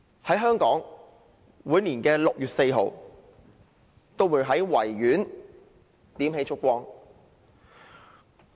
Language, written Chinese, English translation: Cantonese, 在香港，每年6月4日在維多利亞公園也會點起燭光。, In Hong Kong candles are lit every year on 4 June at the Victoria Park